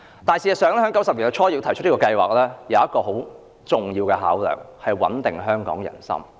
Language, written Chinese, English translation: Cantonese, 不過，事實上，在1990年代初提出這項計劃有一個很重要的考量，就是要穩定香港人心。, However there was actually a very important consideration when raising this proposal in the early 1990s and that is to stabilize public confidence in Hong Kong